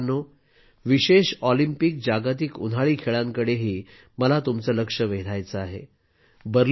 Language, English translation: Marathi, Friends, I wish to draw your attention to the Special Olympics World Summer Games, as well